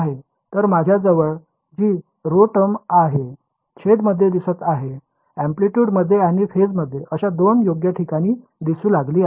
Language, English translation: Marathi, So, I have this rho term over here this is rho is appearing in the denominator in the amplitude and in the phase the 2 places where it is appearing right